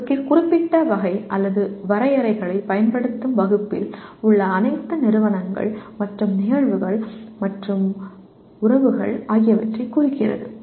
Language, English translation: Tamil, Denotes all of the entities and phenomena and or relations in a given category or class of using definitions